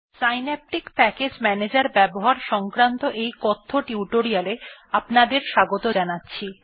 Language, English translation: Bengali, Welcome to this spoken tutorial on how to use Synaptic package manager